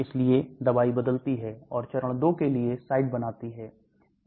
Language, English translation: Hindi, So the drugs changes and creates site for phase 2